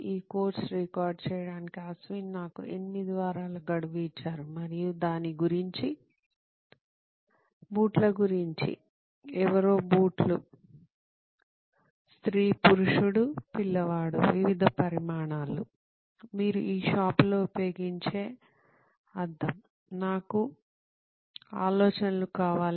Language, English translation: Telugu, Ashwin has given me 8 weeks to record this course and what is it about, something about shoes, somebody shoes, shoes, woman, man, child, different sizes, that mirror that you use in a shoe shop, I need ideas